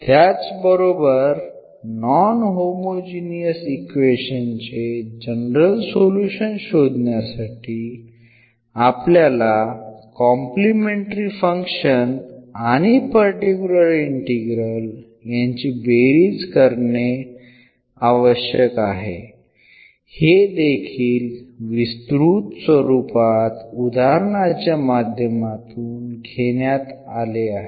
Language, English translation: Marathi, So, to find out the general solution of the non homogeneous equation we have to just add the two the complimentary function and the particular integral which we have learned in many situations